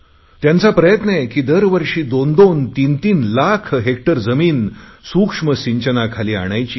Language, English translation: Marathi, And they are striving to bring every year 2 to 3 lakh hectares additional land under micro irrigation